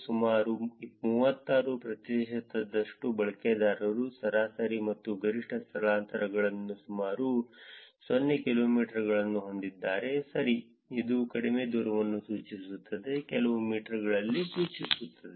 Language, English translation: Kannada, Around 36 percent of the users have average and maximum displacements of about 0 kilometers, right, indicating very short distances within a few meters